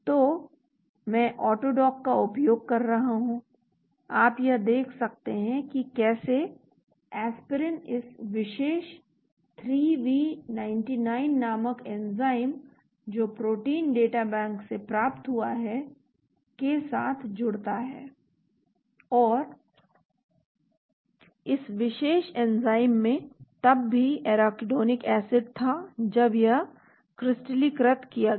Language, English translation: Hindi, So I am using AutoDock, you are able to look at how Aspirin binds to this particular enzyme called 3V99 which is obtained from the Protein Data Bank and this particular enzyme also has Arachidonic acid inside when it was crystallized,